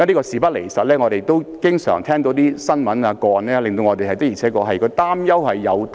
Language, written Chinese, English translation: Cantonese, 事不離實，我們經常聽到一些新聞或個案，證明我們的擔憂並非全無道理。, As a matter of fact the news or cases that we have often heard of indicate that our worries are not totally unfounded